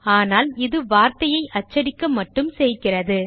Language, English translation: Tamil, But this method only prints the word but does not create one